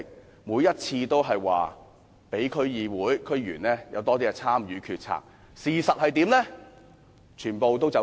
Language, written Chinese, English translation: Cantonese, 政府每次均表示會讓區議會和區議員更多參與決策，事實上卻全部"走數"。, The Government has invariably said that DCs and DC members would be allowed to have greater participation in the policymaking process but in reality it has always failed to honour its promise